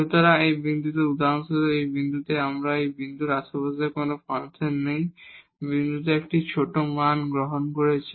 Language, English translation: Bengali, So, at this point for example, at this point here the function in the neighborhood of this point is taking a smaller values at that point itself